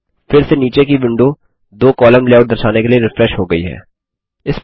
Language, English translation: Hindi, Again the window below has refreshed to show a two column layout